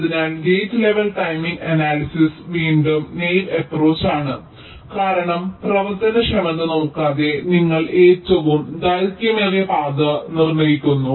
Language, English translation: Malayalam, so gate level timing analysis is again a naīve approach because you determine with an longest path without looking at the functionality